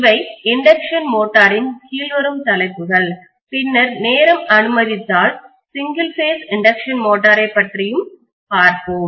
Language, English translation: Tamil, So these are the topics that will be covered under induction motor then if time permits we will also look at single phase induction motor